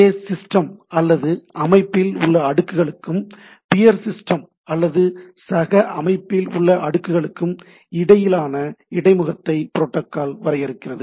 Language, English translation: Tamil, Protocol defines the interface between the layers in the same system and with the layers of peer system